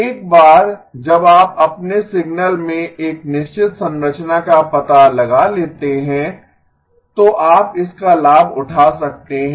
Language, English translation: Hindi, That once you detect a certain structure in your signal, you can then take advantage of that